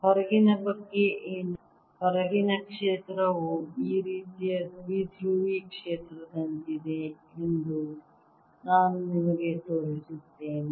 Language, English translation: Kannada, i show you that the outside field is like the dipolar field, like this